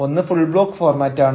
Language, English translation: Malayalam, the first is the full block format